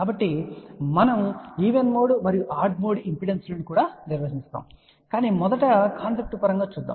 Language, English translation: Telugu, So, now we will define even mode and odd mode impedances, but first let just look at conceptually